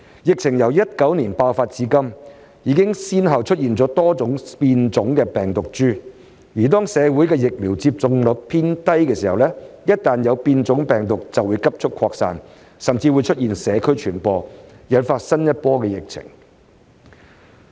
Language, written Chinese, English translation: Cantonese, 疫情由2019年爆發至今，已先後出現多種新的變種病毒株，而當社會的疫苗接種率偏低時，一旦有變種病毒就會急速擴散，甚或出現社區傳播，引發新一波疫情。, Since the outbreak of the epidemic in 2019 a number of new variants have emerged . The low vaccination rate may make the community more susceptible to the rapid spread of the variant or even result in transmission in the community leading to the outbreak of a new wave of epidemic